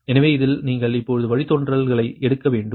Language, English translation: Tamil, so in this here, ah, you have to take the derivative